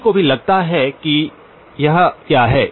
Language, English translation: Hindi, Anyone guess what is this